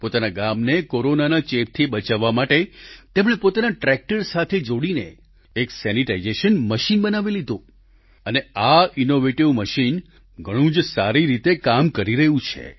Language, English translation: Gujarati, To protect his village from the spread of Corona, he has devised a sanitization machine attached to his tractor and this innovation is performing very effectively